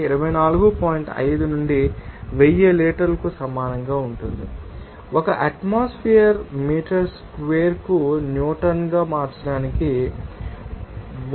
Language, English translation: Telugu, 5 by 1000 liter to be mole than and one atmosphere to be converted to Newton per meter square just by multiplying 1